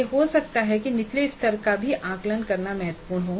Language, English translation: Hindi, It could be that it is important to assess even a lower level because it is important